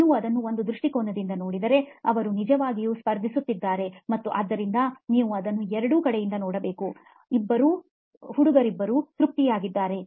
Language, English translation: Kannada, If you look at it from one point of view, they are actually competing and hence you would have to look at it from both sides and see to that, that both of them, both of these guys are satisfied